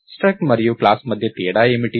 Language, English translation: Telugu, So, what is the difference between struct and a class